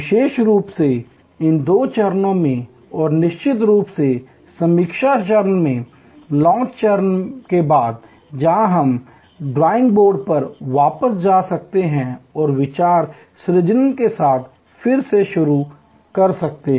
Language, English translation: Hindi, Particularly, in these two stages and of course, at the review stage, post launch review stage, where we can go back to the drawing board and start again with idea generation